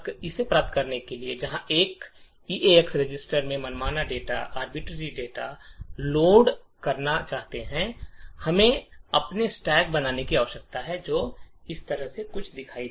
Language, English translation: Hindi, In order to achieve this where we want to load arbitrary data into the eax register, we need to create our stacks which would look something like this way